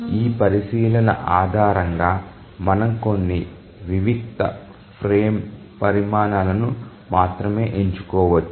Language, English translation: Telugu, Based on this consideration, we can select only few discrete frame sizes